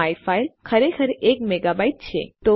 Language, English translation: Gujarati, myfile is actually a mega byte